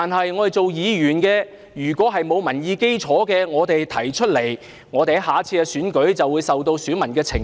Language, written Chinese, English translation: Cantonese, 如果議員提出的意見沒有民意基礎，在下次選舉就會受到選民的懲罰。, If Members views do not reflect public opinions they will be punished by their electors in the next election